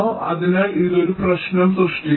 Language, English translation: Malayalam, ok, so this creates a problem